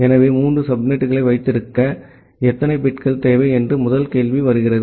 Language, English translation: Tamil, So, the first question comes that how many bits do you require to have three subnets